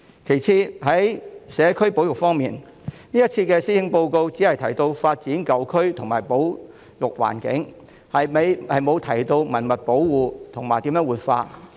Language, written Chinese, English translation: Cantonese, 其次，在社區保育方面，這次施政報告只提到發展舊區和保育環境，沒有提及文物保護和如何活化。, Moreover on community conservation the Policy Address only mentions the development of old urban areas and conservation of environment but not the conservation and revitalization of heritage sites